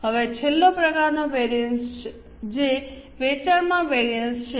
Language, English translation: Gujarati, Now, the last type of variance, that is a sales variance